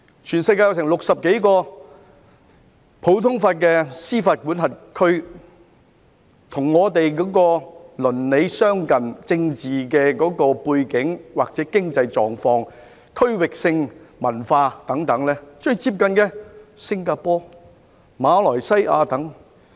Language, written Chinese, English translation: Cantonese, 全球有60多個普通法系的司法管轄區，而與我們鄰里相近、政治背景或經濟狀況、區域性文化等最接近的，就有新加坡、馬來西亞等。, There are some 60 common law jurisdictions in the world and those which are most akin to us in terms of geographic location political system economic conditions or local culture are Singapore and Malaysia